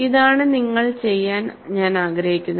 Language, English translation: Malayalam, And this is what I would like you to do